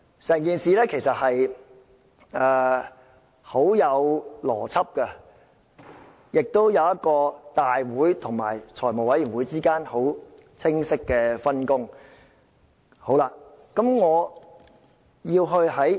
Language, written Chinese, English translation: Cantonese, 因此，整件事很有邏輯，亦顯示出大會與財務委員會之間的清晰分工。, Hence the entire procedure is logical which sets out clearly the division of work between the Council and the Finance Committee